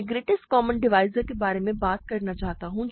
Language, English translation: Hindi, I talk about I want to talk about greatest common divisor